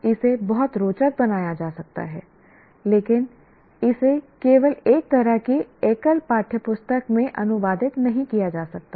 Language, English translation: Hindi, This can be made very interesting but it cannot be merely translated into as a kind of a single textbook